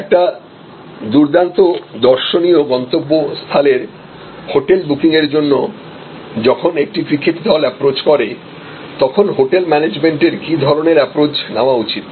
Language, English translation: Bengali, About a cricket team approaching a hotel which is a big great tourist destination for hotel booking and what should be the approach taken by the hotel management